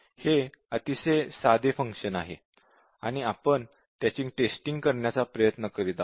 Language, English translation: Marathi, Very trivial function and we are trying to test it